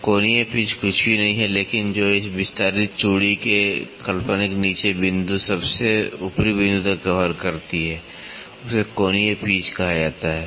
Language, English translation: Hindi, So, angular pitch is nothing, but which covers from the imaginary down point of this extended thread to the topmost point is called as the angular pitch